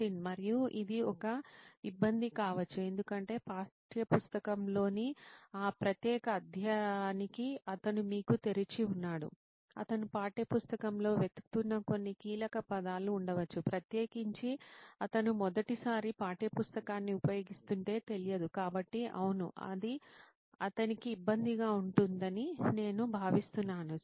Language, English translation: Telugu, And this could be a hassle because he has to you know open to that particular chapter in the textbook there might be some keywords that he could be searching for within the textbook that is not aware of especially if he using a textbook for the first time, so yeah I think it might be a hassle for him